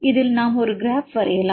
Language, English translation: Tamil, In this case we can draw a graph